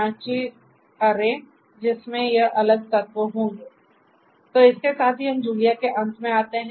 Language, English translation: Hindi, So, with this we come to an end of Julia